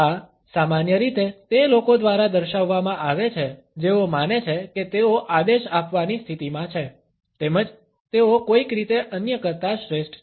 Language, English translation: Gujarati, This is commonly displayed by those people, who think that they are in a position to command as well as they are somehow superior to others